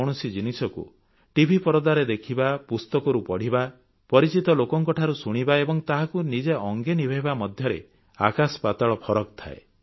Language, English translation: Odia, There is huge difference between to sometime to see something on television or reading about it in the book or listening about it from acquaintances and to experiencing the same thing yourself